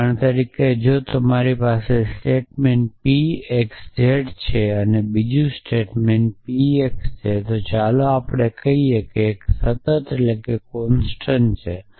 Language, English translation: Gujarati, So, for example, if I have a statement p x z and another statement p x let us say constant a